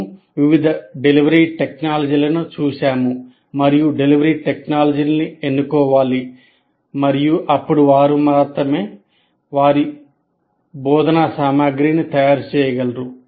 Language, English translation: Telugu, So we looked at the various delivery technologies and you have to make the choice of the delivery technology and then only you can actually prepare your instruction material